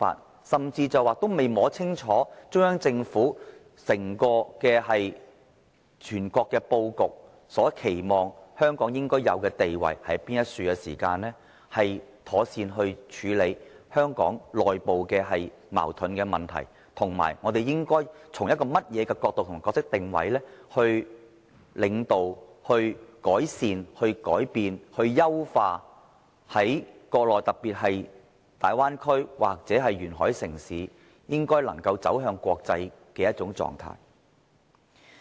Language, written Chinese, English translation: Cantonese, 他甚至未摸清楚中央政府整體布局，國家期望香港應有的地位是甚麼，如何妥善處理香港的內部矛盾問題，以及我們應該從甚麼角度及扮演甚麼角色定位來領導、改善、改變、優化國內城市，特別是大灣區或沿海城市走向國際。, He has not even ascertained the overall disposition of the Central Government and what position China expects Hong Kong to be; how to properly address Hong Kongs internal conflicts; and what perspective should we hold and what role should we play to lead improve change and enrich Mainlands cities to go international in particular those in the Bay Area or coastal area